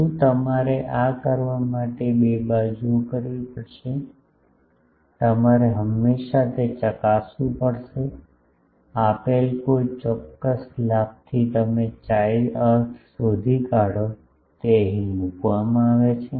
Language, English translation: Gujarati, What, you will have to do this has 2 sides, you will have to always check suppose from a given specific gain you find chi put it here